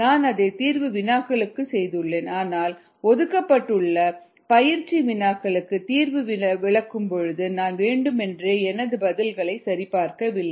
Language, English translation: Tamil, i have done that for the exam questions and so on, but during the ah, in a demonstration of the solutions of the problems, the practice problems that are assigned, i have deliberately not verified my answers